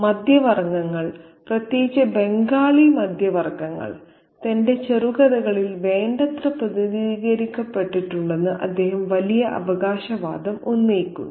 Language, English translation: Malayalam, He makes this massive claim that the middle classes, especially the Bengali middle classes, have been very adequately represented in his short fiction